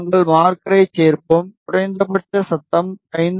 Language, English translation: Tamil, We will add marker and we will check the minimum noise figure which is 5